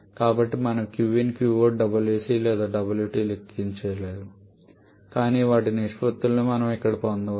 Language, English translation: Telugu, So, we cannot calculate Q in Q out Wc or Wt but we can get their ratios which exactly what we have done here